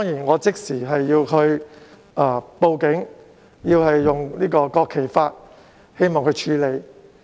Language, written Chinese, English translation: Cantonese, 我即時向警方報案，希望他們以國旗法處理。, I called the Police at once and I hoped that they could deal with this according to the national flag law